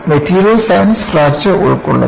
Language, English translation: Malayalam, The Material Science covers fracture